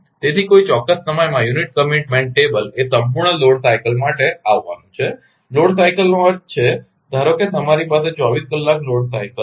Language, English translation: Gujarati, So, in a particular problem the unit commitment table is to be arrived at for the complete load cycle; load cycle means, suppose 24 hours load car you have